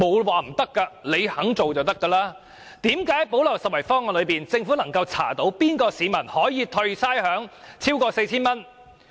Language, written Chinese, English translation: Cantonese, 為何政府可從"補漏拾遺"方案查出哪名市民可獲差餉寬免超過 4,000 元？, How can the Government identify a person who has received rates concession of more than 4,000 for the purpose of implementing the gap - plugging initiatives?